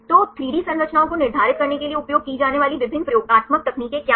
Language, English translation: Hindi, So, what are the various experimental techniques used to determine 3 D structures